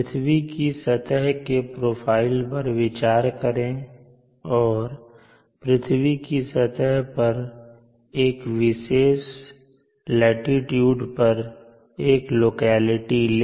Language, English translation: Hindi, Consider the profile of the earth surface are shown and on the surface of the earth let us consider a locality at as specific latitude